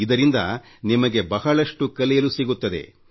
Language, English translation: Kannada, You will get to learn a lot that way